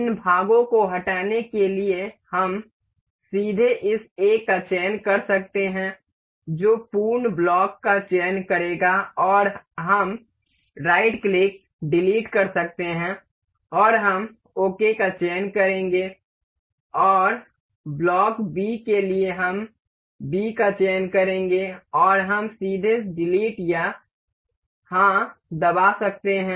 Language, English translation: Hindi, To remove these parts we can directly select the part this A that will select the complete block and we can right click, delete and we will select ok and for block B we will select B and we can directly press delete or yes